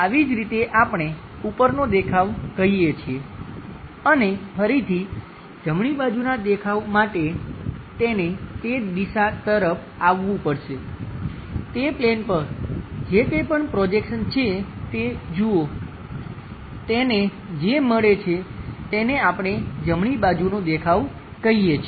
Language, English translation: Gujarati, As this we call as top view and again, for the right side view, he has to come to that direction, look on that plane whatever it is projected, he is going to get that is what we call right side view